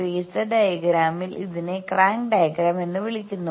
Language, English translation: Malayalam, In the phasor diagram this is called crank diagram